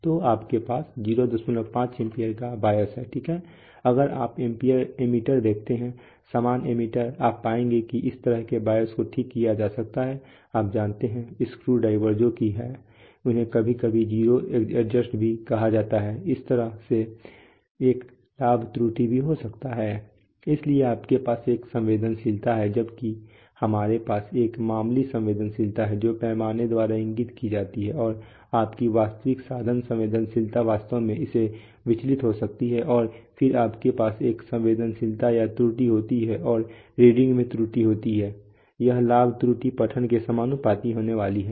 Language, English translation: Hindi, 5 ampere of biases, right, if you see ammeters, normal ammeters you will find that such biases can be corrected by, you know, screwdrivers that there are, they are also sometimes called zero adjusts, similarly there can be see there can be a gain error, so you have a sensitivity while we have a nominal sensitivity which is indicated by the scale and your actual instrument sensitivity may actually deviate from that and then you have a sensitivity or gain error and the error in reading due to this gain error is going to be proportional to the reading